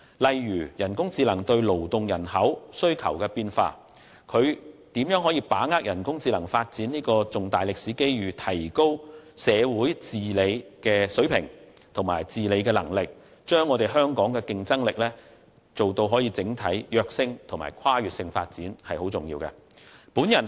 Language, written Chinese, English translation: Cantonese, 例如人工智能對勞動人口需求帶來的變化，以及如何把握人工智能發展的重大歷史機遇，提高社會治理的水平和能力，從而帶動香港競爭力的整體躍升及跨越性發展，這些都是非常重要的。, For example to examine the implication of AI on labour demand and how we can capitalize on this significant historic opportunity of AI development to improve the level and ability of governance with a view to fostering an overall enhancement and evolutionary development in Hong Kongs competitiveness which are very important